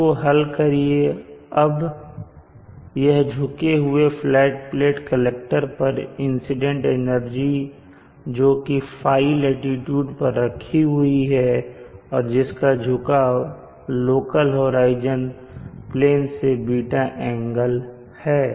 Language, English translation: Hindi, beeta ) now this is the energy incident on a tilted flat plate at located at latitude file and having a tilt with respect to its local horizon with an angle beeta